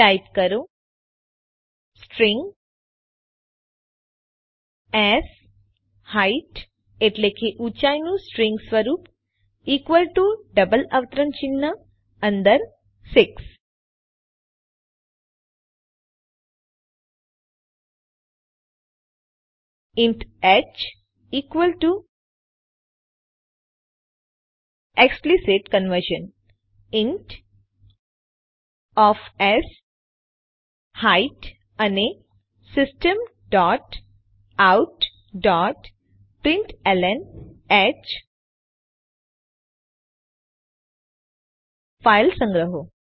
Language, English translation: Gujarati, Clean up the main function type String sHeight string form of Height equal to in double quotes 6 int h equal to explicit conversion int of sHeight and System dot out dot println h Save the file